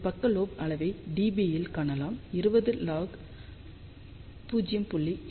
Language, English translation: Tamil, So, you can see that side lobe level in dB comes out to be 20 log of 0